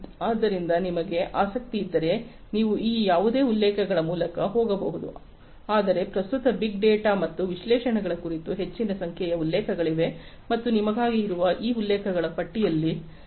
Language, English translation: Kannada, So, if you are interested you could go through any of these references, but there are huge number of references on big data and analytics at present and you could go even beyond these lists of references that are there for you